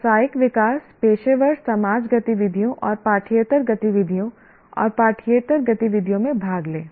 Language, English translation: Hindi, Participate in professional development, professional society activities and co curricular and extracurricular activities